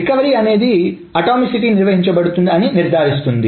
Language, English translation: Telugu, So recovery is the one that ensures that atomicity is maintained